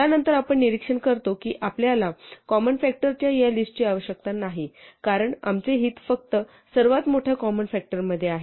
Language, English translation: Marathi, We then observe that we donÕt even need this list of common factors since our interest is only in the greatest common factor or the greatest common divisor